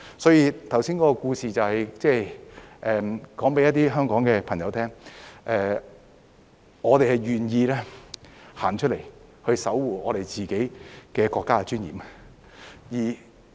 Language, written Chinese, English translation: Cantonese, 所以，剛才的故事就是告訴一些香港朋友，我們願意走出來守護我們自己國家的尊嚴。, Therefore the earlier story tells some fellow people in Hong Kong exactly that we are willing to come out and safeguard the dignity of our own country